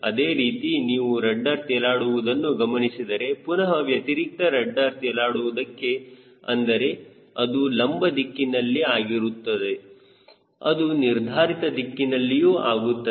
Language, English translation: Kannada, similarly, if you see for rudder floating, again for reversible rudder float, which is happening at longitudinal, it will happen at directional also